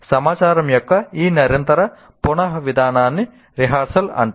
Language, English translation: Telugu, So this continuous reprocessing of information is called rehearsal